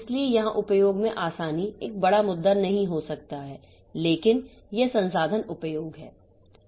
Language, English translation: Hindi, So, here ease of usage may not be a big issue but this resource utilization